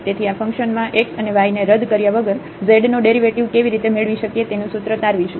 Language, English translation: Gujarati, So, we will derive a formula how to get the derivative of this z without substituting this x and y here in this function